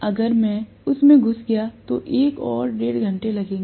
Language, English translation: Hindi, If I get into that, that will take up another one and a half hours